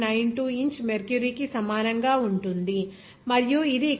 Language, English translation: Telugu, 92 inch of mercury and also you can say that it is 33